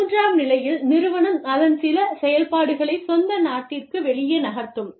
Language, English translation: Tamil, Stage three, the firm physically move, some of its operations, outside the home country